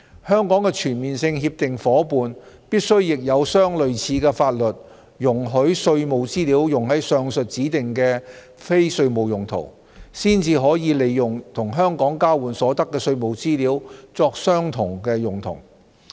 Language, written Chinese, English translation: Cantonese, 香港的全面性協定夥伴必須亦有相類似的法律容許稅務資料用於上述指定的非稅務用途，才可利用與香港交換所得的稅務資料作相同用途。, It is necessary for Hong Kongs Comprehensive Agreement partners to have similar laws allowing the use of tax information for the above mentioned specified non - tax related purposes before they can use the tax information exchanged with Hong Kong for the same purposes